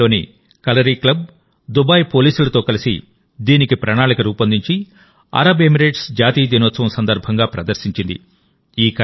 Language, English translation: Telugu, Kalari club Dubai, together with Dubai Police, planned this and displayed it on the National Day of UAE